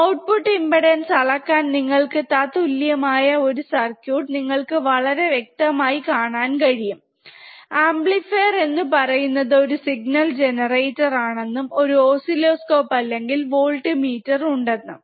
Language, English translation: Malayalam, So, this is an equivalent circuit for measuring the output impedance, you can clearly see there is a signal generator is the amplifier, and there is a oscilloscope or voltmeter